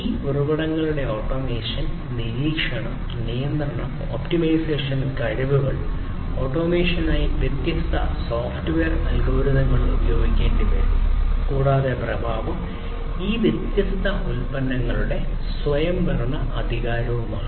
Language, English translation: Malayalam, Automation; automation of these resources, monitoring, control, and optimization capabilities, different software algorithms will have to be used for the automation, and the effect is having autonomous performance of these different products